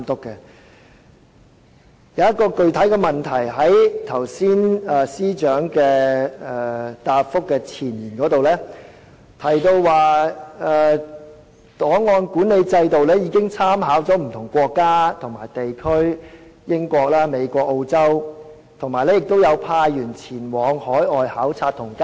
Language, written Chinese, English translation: Cantonese, 我想提出一個具體的問題，司長剛才在主體答覆的前言中提到，檔案管理制度已參考不同國家和地區的做法，包括英國、美國及澳洲等，亦派員前往海外考察及交流。, I wish to ask a specific question . In her main reply earlier the Chief Secretary said in the foreword that when developing the records management system reference was made to the practices of different countries and regions such as the United Kingdom the United States Australia and so on and that staff were also sent for overseas visits and exchange